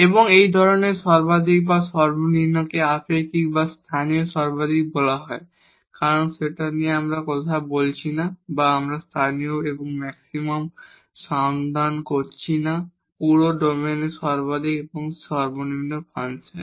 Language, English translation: Bengali, And such maximum or minimum is called relative or local maximum because we are not talking about or we are not searching the local and maxima, the maximum and the minimum of the function in the entire domain